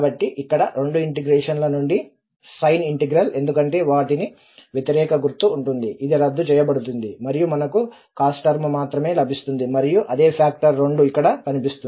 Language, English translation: Telugu, So here, the sine integral from both, because they will have the opposite sign, it will cancel out and we will get only with the cos term and that is the factor 2 will be appearing there